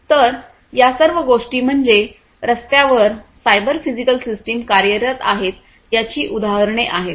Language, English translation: Marathi, So, all these things are examples of cyber physical systems operating on the road on the vehicles and so on